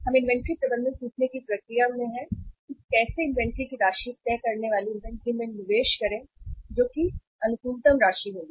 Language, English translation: Hindi, So we are in the process of learning the inventory management or say investment in the inventory deciding the amount of the inventory to be kept which will be the optimum amount